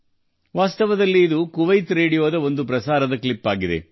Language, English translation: Kannada, Actually, this is a clip of a broadcast of Kuwait Radio